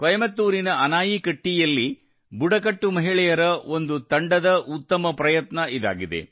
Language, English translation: Kannada, This is a brilliant effort by a team of tribal women in Anaikatti, Coimbatore